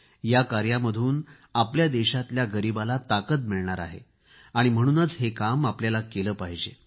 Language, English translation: Marathi, The poor of our country will derive strength from this and we must do it